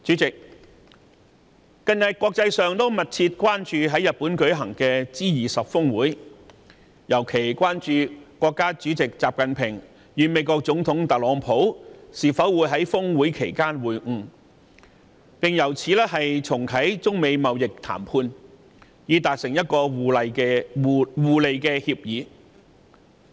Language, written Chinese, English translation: Cantonese, 近日國際社會密切關注在日本舉行的 G20 峰會，尤其是國家主席習近平與美國總統特朗普會否在峰會期間會晤，並重啟中美貿易談判，以達成互利協議。, Recently the international community has been watching closely the G20 Summit held in Japan particularly whether State President XI Jinping will meet with United States President Donald TRUMP during the Summit and resume the trade talks for a mutually beneficial agreement